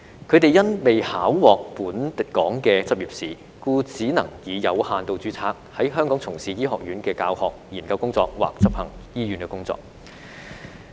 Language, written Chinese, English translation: Cantonese, 他們因未考獲本港的執業試，只能以有限度註冊在香港從事醫學院教學、研究工作或執行醫院工作。, As they have not passed the licensing examination in Hong Kong they could only be engaged in teaching research or perform hospital work in the Faculty of Medicine under limited registration